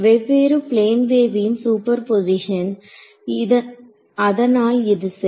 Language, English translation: Tamil, Superposition of different plane waves that is what it is right